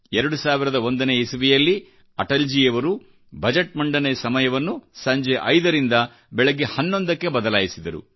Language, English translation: Kannada, In the year 2001, Atalji changed the time of presenting the budget from 5 pm to 11 am